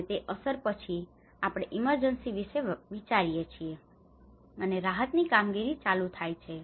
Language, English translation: Gujarati, And that is where after the impact we think about the emergency, and the relief operations works on